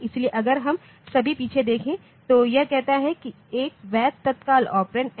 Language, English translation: Hindi, So, if we just look back it says that a valid immediate operand n